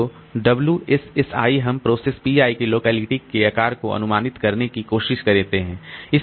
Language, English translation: Hindi, So, WSSI, we try to approximate the size of the locality of process PI